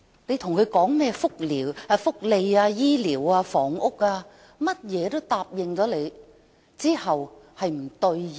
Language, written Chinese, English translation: Cantonese, 對於市民提出的福利、醫療及房屋訴求，他總是唯唯諾諾，但之後卻無法兌現。, He never really says no to peoples demands for welfare benefits health care and housing . But he is unable to fulfil his promises afterwards